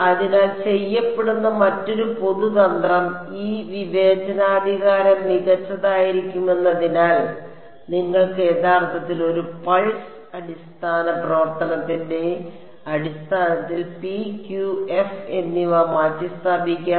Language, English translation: Malayalam, So, another common trick that is done is because this discretization is going to be chosen to be fine you can in fact, substitute p q and f in terms of a pulse basis function